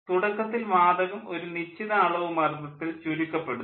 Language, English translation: Malayalam, initially, gas will be compressed to certain pressure value